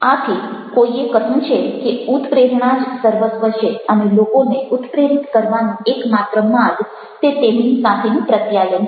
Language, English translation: Gujarati, so someone has said that motivation is everything and the only way to motivate people is to communicate with them